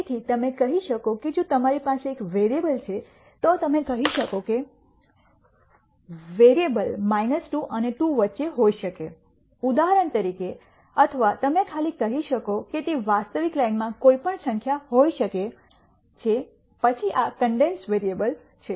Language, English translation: Gujarati, So, you could say if you have one variable you could say the variable could be between minus 2 and 2 for example, or you could simply say it could be any number in the real line then these are condensed variables